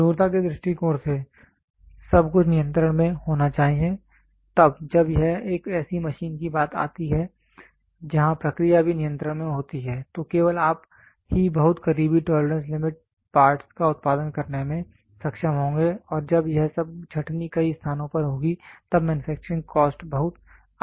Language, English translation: Hindi, From the hardness point of view everything should be under control then when it comes to a machine where the process is also under control then only you are you will be able to produce very close tolerance limit parts and when this all the sorting out has to happen at several places then the manufacturing cost goes high drastically